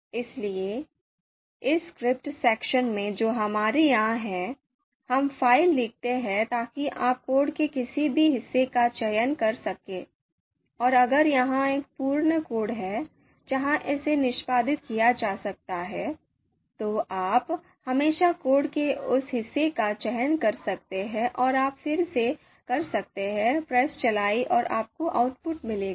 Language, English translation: Hindi, So in this script section that we have here we write the file so you can select any part of the code selective part of the code, and if it is a complete you know code where it can be executed, you can always select that part of the code and you can again press run and you will get the output